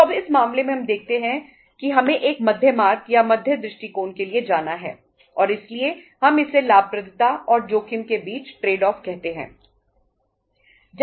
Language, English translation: Hindi, So now in this case we see that we have to go for a middle path or the middle approach and that is why we call it as the trade off between the profitability and the risk